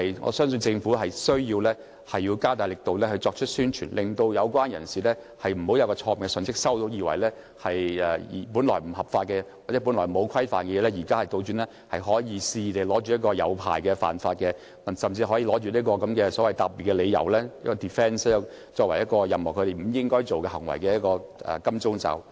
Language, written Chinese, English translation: Cantonese, 我相信政府需要加強宣傳，令有關人士不會接收錯誤信息，以為本來不合法或沒有規範的事，現在反而可以透過取得牌照而肆意為之，甚至以此作為答辯理由，作為任何不應該做的行為的"金剛罩"。, I believe that the Government needs to step up publicity so that the relevant parties will not receive wrong messages thinking that the practices which were once illegal or unregulated can now be conducted arbitrarily through the application of licences or they can even use the legislation as defence or as a shield for practices that should not be allowed